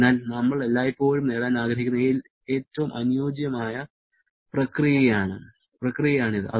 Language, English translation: Malayalam, So, that is the most ideal process that we would always like to achieve